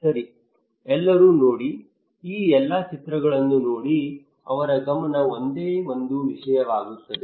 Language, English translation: Kannada, well, look at everyone look at all these posters their focus is only one thing